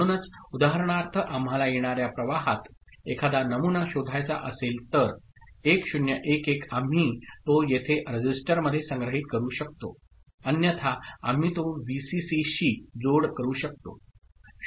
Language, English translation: Marathi, So, for example if we want to detect a pattern in the incoming stream 1 0 1 1 we can store it over here in a register, otherwise we can connect it to Vcc